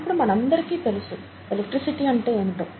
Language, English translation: Telugu, And we all know what electricity is nowadays